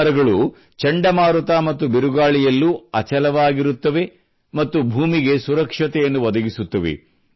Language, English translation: Kannada, These trees stand firm even in cyclones and storms and give protection to the soil